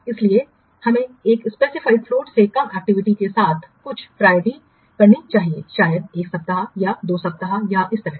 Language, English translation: Hindi, So, that's why we should give also some priority to the activities with less than a specified float maybe one week or what two weeks or like that